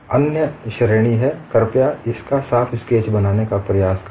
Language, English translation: Hindi, The other category is, please try to make neat sketch of this